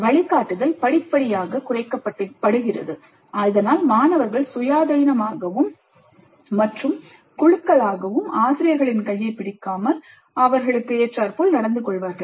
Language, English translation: Tamil, And guidance is reduced progressively so that students get adapted to thinking independently and in groups of their own without the kind of handholding by the faculty which happens in the initial stages